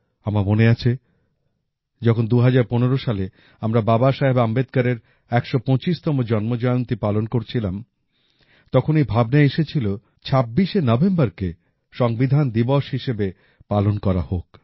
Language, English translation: Bengali, I remember… in the year 2015, when we were celebrating the 125th birth anniversary of BabasahebAmbedkar, a thought had struck the mind to observe the 26th of November as Constitution Day